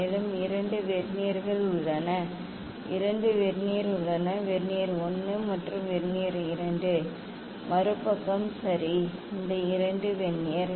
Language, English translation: Tamil, Also, there are two Vernier s, there are two Vernier; Vernier 1 and Vernier 2 other side ok, this 2 Vernier